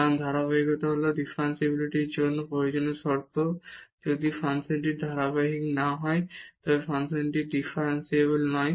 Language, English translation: Bengali, Because the continuity is the necessary condition for differentiability, if the function is not continuous definitely the function is not differentiable